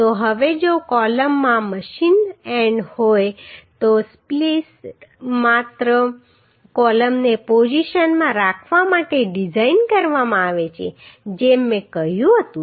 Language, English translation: Gujarati, So now if the column has the machined end then the spliced is designed only to keep the columns in position as I told